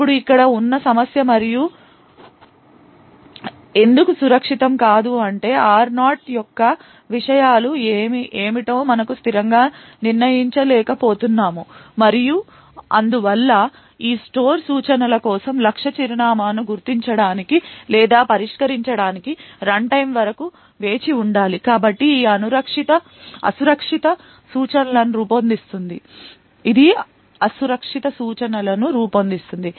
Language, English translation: Telugu, Now the problem here and why it is unsafe is that statically we may not be able to determine what the contents of R0 is and therefore we need to wait till runtime to identify or resolve the target address for this store instructions therefore this forms an unsafe instructions